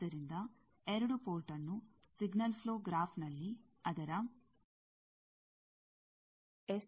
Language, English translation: Kannada, So, a two port can be represented in a signal flow graph with its S parameters as these